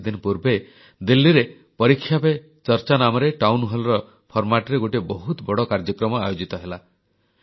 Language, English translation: Odia, A few weeks ago, an immense event entitled 'ParikshaPeCharcha' was organised in Delhi in the format of a Town Hall programme